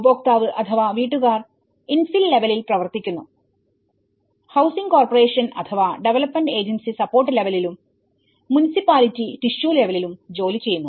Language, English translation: Malayalam, The consumer or households they act on infill level, the housing corporation or a development agency on a support level or the municipality works on a tissue level